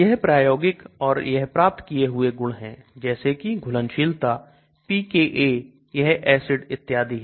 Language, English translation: Hindi, These are experimental, these are predicted properties solubility , PKA that is dissociation acid and so on actually